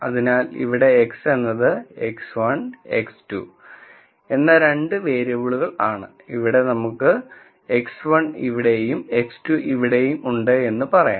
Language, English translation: Malayalam, So, here we would say X is x 1 x 2; two variables let us say x 1 is here x 2 is here